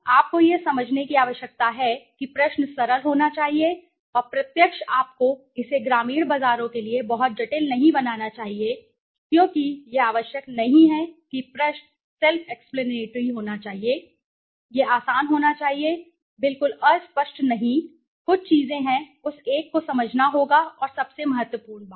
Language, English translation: Hindi, You need to understand that the question should be simple and direct you should not making it very complicated for the rural markets because it is not required the question should be self explanatory, it should be easy right, not ambiguous at all right, there are some of things that one has to understand and most importantly